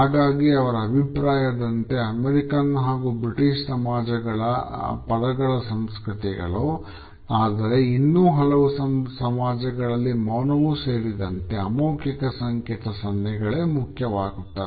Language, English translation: Kannada, So, in his opinion the American and British societies are word cultures whereas, there are many other societies which rely more on open nonverbal cues and signs which include silence also